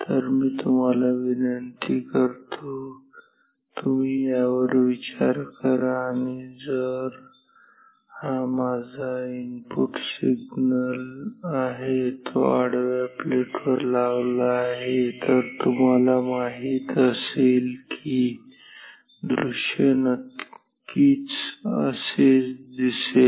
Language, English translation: Marathi, So, I request you just give a thought to this, if this is my input signal, which is applied to V H horizontal plate, then you know the display will of course, be like this